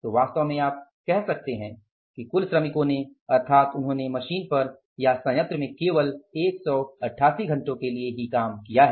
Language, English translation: Hindi, So actually you can say that total number of the workers, means they have worked on the machines or in the plant that is only for 188 hours